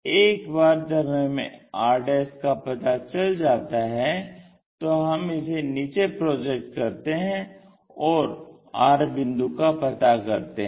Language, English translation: Hindi, Once r' is there we can project that all the way down to construct r